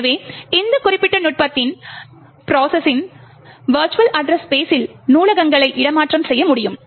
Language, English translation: Tamil, So, with this particular technique, libraries can be made relocatable in the virtual address space of the process